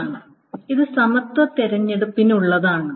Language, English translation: Malayalam, So this is for the equality selection